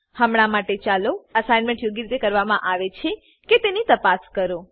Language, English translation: Gujarati, For now, lets check whether the assignment is done properly